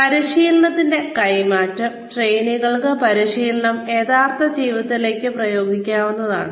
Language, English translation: Malayalam, Transfer of training is, where trainees apply the training, to real life